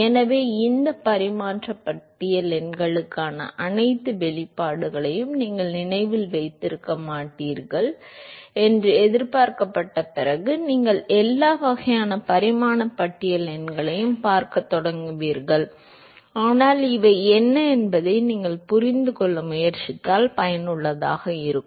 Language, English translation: Tamil, So, you will start seeing all kinds of dimension list numbers that you will start propping up here after you are not expected to remember all the expressions for these dimension list numbers, but what would be useful is if you attempt to understand what does these of each of these numbers signifies